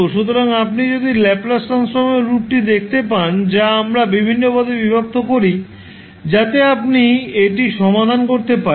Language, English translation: Bengali, So, if you see the expression for Laplace Transform, which we decompose into various terms, so that you can solve it